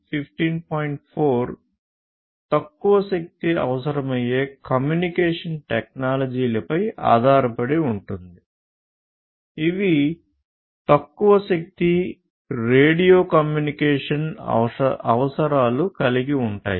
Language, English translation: Telugu, 4 the applications are based on the communication technologies which require low power, which have low power, radio communication requirements